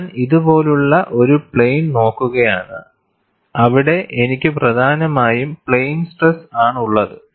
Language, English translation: Malayalam, I am looking at a plane like this, where I have essentially plane stress